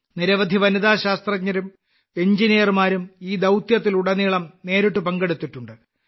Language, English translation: Malayalam, Many women scientists and engineers have been directly involved in this entire mission